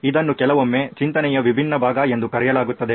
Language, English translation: Kannada, This is sometimes called the divergent part of thinking